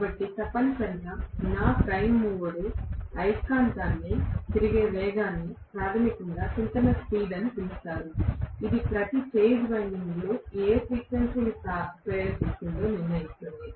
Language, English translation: Telugu, So essentially the speed at which my prime mover is rotating the magnet that is basically known as the synchronous speed, which will decide what frequency is induce in each of the phase windings